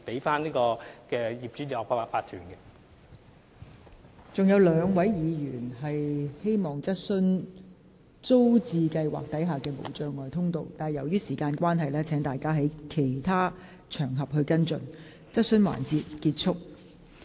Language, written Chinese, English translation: Cantonese, 尚有兩位議員希望就提供無障礙通道進出租置屋邨的事宜提出補充質詢，但由於時間關係，請議員在其他場合跟進。, Two Members are still waiting to raise supplementary questions on the provision of barrier - free access to TPS estates but owing to time constraints I have to ask the Members to follow up on other occasions